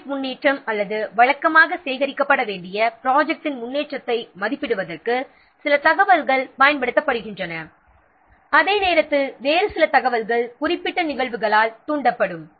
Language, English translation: Tamil, Some information are used to assess project progress or the progress of the project that should be collected routinely while some other information will be triggered by specific events